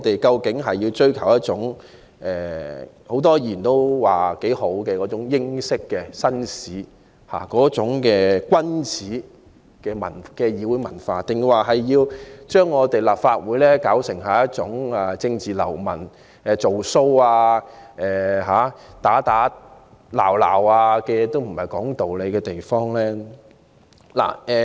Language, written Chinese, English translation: Cantonese, 究竟我們追求的是眾多議員也欣賞的英式紳士、君子的議會文化，還是要將立法會變為容納政治流氓、"做騷"、打打鬧鬧和無須說道理的地方？, Are we pursuing the British gentleman or nobleman style of parliamentary culture appreciated by the majority of Members or are we going to turn the Legislative Council into a hotbed of political hooligans imposters mayhem and tyranny?